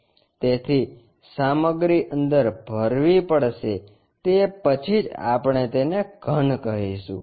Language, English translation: Gujarati, So, the material has to be filled inside that then only we will call it as solid